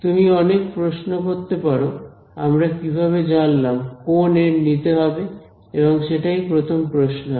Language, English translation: Bengali, So, this you can ask lots of questions how do we know what n to choose that would be the first question right